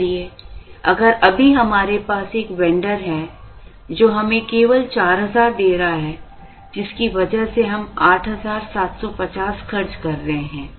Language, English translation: Hindi, So, if right now we are having a vendor, who is giving us only 4000, because of which we are incurring an 8750